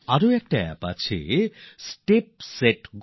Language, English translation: Bengali, There is another app called, Step Set Go